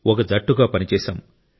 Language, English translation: Telugu, We worked as a team